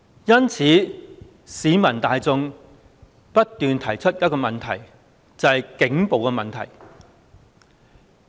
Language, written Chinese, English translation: Cantonese, 因此，市民大眾不斷提出一個問題，就是警暴的問題。, For this reason the public keep raising an issue namely the problem of police brutality